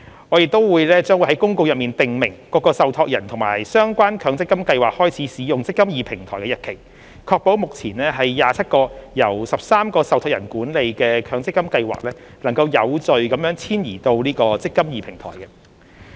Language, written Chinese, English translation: Cantonese, 我們亦將於公告中訂明各個受託人和相關強積金計劃開始使用"積金易"平台的日期，確保目前27個由13個受託人管理的強積金計劃能有序遷移至"積金易"平台。, We will specify in the notice the commencement date of the use of the eMPF Platform by various trustees and relevant MPF schemes ensuing the orderly migration of the 27 MPF schemes currently managed by the 13 trustees to the eMPF Platform